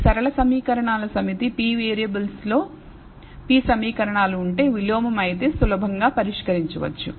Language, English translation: Telugu, It is a set of linear equations p equations in p variables which can be easily solved if a is invertible